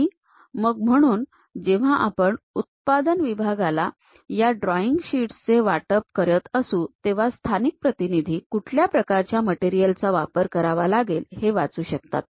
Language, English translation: Marathi, So, when we are sharing these drawing sheets to the production line; the local representative should be in a position to really read, what kind of material one has to use